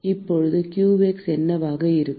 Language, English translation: Tamil, And now what will be qx